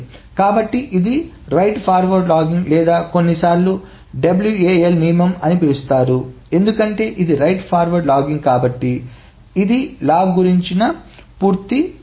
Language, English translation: Telugu, So this is the right ahead logging or this is sometimes known as the wall rule, WAL, because it's a right ahead logging